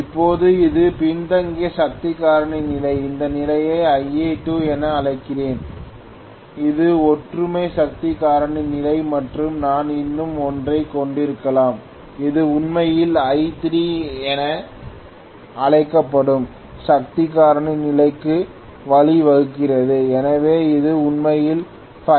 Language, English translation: Tamil, Now this is lagging power factor condition let me call this condition as Ia2 which is unity power factor condition and I may have one more which is actually leading power factor condition which I am calling as I3, so which is actually phi 3